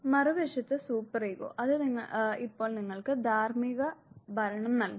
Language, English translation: Malayalam, The super ego on the other hand it now gives moral governance to you